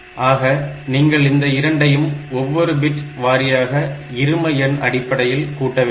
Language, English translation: Tamil, So, you can add them bit by bit, I am talking about binary number system in the here